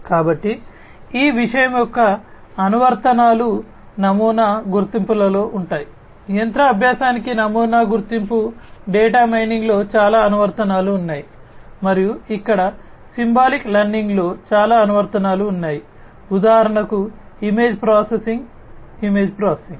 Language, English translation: Telugu, So, applications of this thing good applications would be in pattern recognition, machine learning has lot of applications in pattern recognition, data mining, and here symbolic learning has lot of applications in for example, image processing, image processing